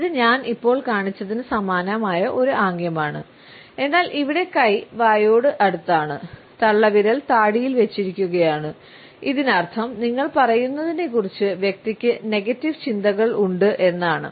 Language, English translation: Malayalam, Now, this is a similar gesture to the one I have just shown, but here the hand is nearer to the mouth and the thumb is supporting the chin, which means that the person has negative thoughts about what you are saying